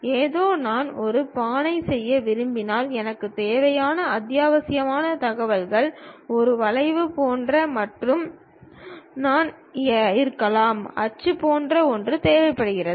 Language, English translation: Tamil, Something like, if I want to make a pot, the essential information what I require is something like a curve and I might be requiring something like an axis